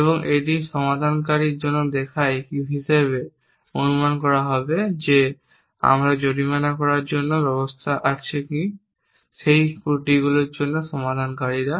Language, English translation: Bengali, And it looks for resolvers as will assume that we have mechanism for fine in of what are the resolvers for those flaws